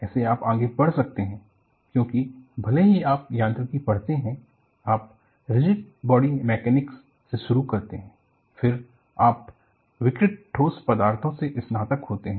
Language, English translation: Hindi, See, this is how you can proceed, because even if you read mechanics, you start from rigid body mechanics, then, you graduate to deformable solids